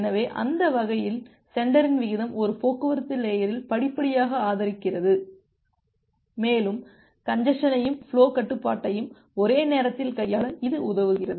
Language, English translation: Tamil, So, that way the sender rate gradually increases in a transport layer and it helps you to find out to handle the congestion as well as the flow control simultaneously